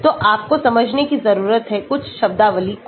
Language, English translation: Hindi, so you need to understand certain terminologies